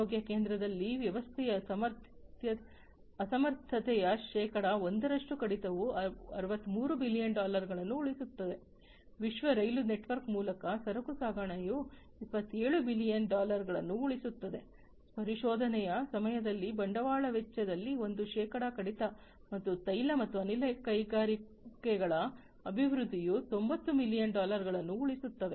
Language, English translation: Kannada, Gas and power segment of power plants will also save over 65 billion dollars 1 percent reduction in system inefficiency in healthcare center will save 63 billion dollar, freight transportation through world rail network will also save 27 billion dollar, one percent reduction in capital expenditure during exploration and development in oil and gas industries will save 90 billion dollar